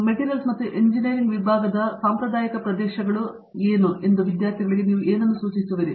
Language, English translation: Kannada, What would you think our traditional areas of Materials science and Engineering that students are likely to see